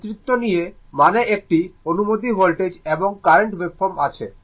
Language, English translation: Bengali, So, leading means you have a suppose voltage and current waveform